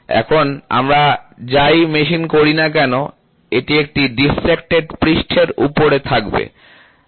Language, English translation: Bengali, So, now, whatever you machine will be on a deflected surface